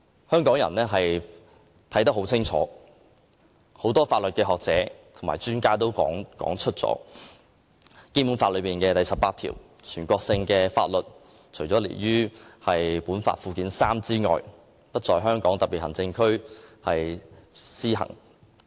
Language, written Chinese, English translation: Cantonese, 香港人看得很清楚，很多法律學者和專家亦曾指出，《基本法》第十八條提及的全國性法律，除列於附件三的法律外，不在香港特別行政區施行。, Hong Kong people understand very well the provisions under these Articles and many legal scholars and experts have also pointed out that as stipulated in Article 18 of the Basic Law national laws shall not be applied in the Hong Kong Special Administrative Region HKSAR except for those listed in Annex III